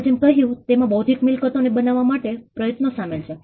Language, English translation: Gujarati, As we said there is intellectual effort involved in it